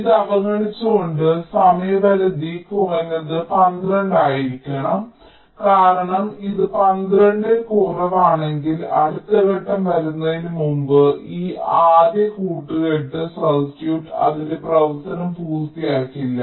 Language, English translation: Malayalam, ok, so, ignoring this, the time period should be at least twelve, because if it is less than twelve, then this first set of combination circuit will not finish its separation before the next stage comes